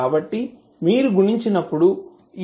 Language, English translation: Telugu, So, this is what we got from the multiplication